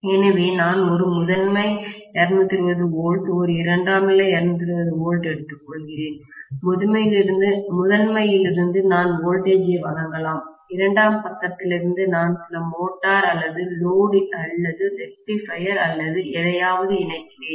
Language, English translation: Tamil, So, I will have one primary 220 volts, one secondary 220 volts, from the primary I may supply the voltage, from the secondary side I make connected to some motor or load or rectifier or whatever